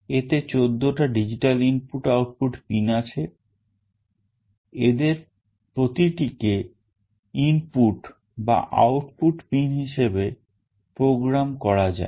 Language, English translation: Bengali, There are 14 digital input output pins, each of these pins can be programmed to use as an input pin or it can be used for output pin